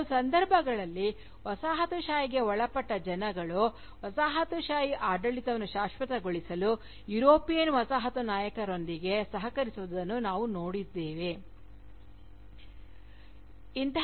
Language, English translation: Kannada, So, in some cases, we see Colonised subjects, collaborating with the European Colonial Masters, to perpetuate the Colonial rule